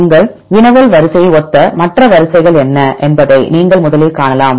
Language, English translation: Tamil, First you can see what are the other sequences similar to your query sequence right